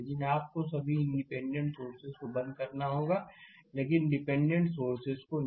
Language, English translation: Hindi, But you have to turn off all independent sources, but not the dependent sources right